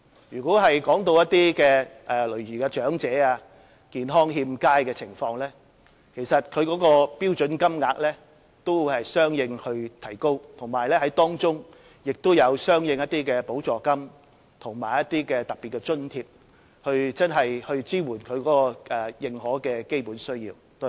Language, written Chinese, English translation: Cantonese, 如果談到長者、健康欠佳人士的情況，該標準金額也會相應提高，當中也有一些相應的補助金和特別津貼，真正支援其認可的基本需要。, When it comes to the elderly and persons in ill health the standard rate will increase correspondingly and relevant supplements and special grants will be provided to truly support their recognized basic needs